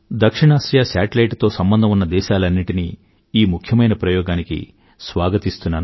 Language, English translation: Telugu, I welcome all the South Asian countries who have joined us on the South Asia Satellite in this momentous endeavour…